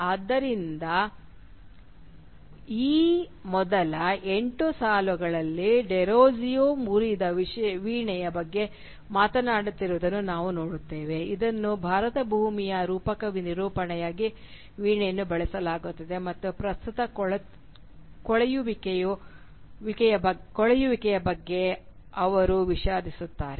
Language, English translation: Kannada, So in these first eight lines we see that Derozio is talking about a broken harp which is used as a metaphorical representation of the land of India and he is lamenting about its present state of decay